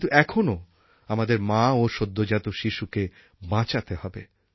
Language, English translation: Bengali, But we still have to work to save our mothers and our children